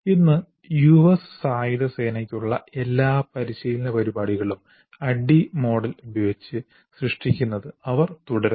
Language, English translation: Malayalam, Today all the US Armed Forces, all training programs for them continue to be created using the ADI model